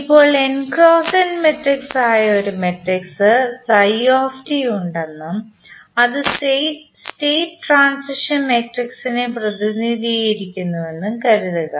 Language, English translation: Malayalam, Now, let us assume that there is a matrix phi t which is n cross n matrix and it represents the state transition matrix